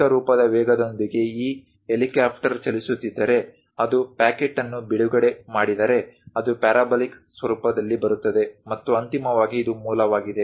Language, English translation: Kannada, With uniform velocity, if this helicopter is moving; if it releases a packet, it comes in parabolic format, and finally this is the origin